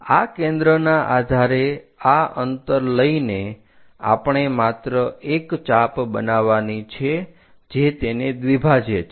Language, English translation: Gujarati, Now, based on this centre somewhere distance we just make an arc we have to bisect it